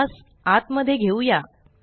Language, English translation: Marathi, Let us bring it inside